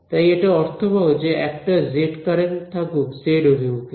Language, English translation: Bengali, So, it make sense to also have z current directed along the z direction